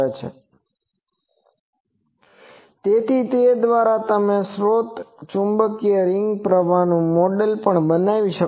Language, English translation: Gujarati, So, by that also you can model the source magnetic ring current